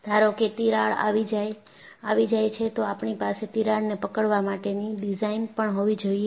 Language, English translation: Gujarati, Suppose I have a crack, I must also have the design to arrest the crack